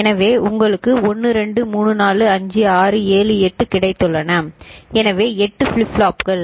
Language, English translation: Tamil, So, you have got 1, 2, 3, 4, 5, 6, 7, 8 so 8 flip flops